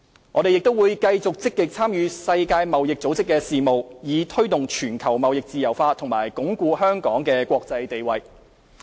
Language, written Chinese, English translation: Cantonese, 我們亦會繼續積極參與世界貿易組織的事務，以推動全球貿易自由化及鞏固香港的國際地位。, We will maintain our active participation in the affairs of the World Trade Organization WTO to take forward global trade liberalization and strengthen Hong Kongs international position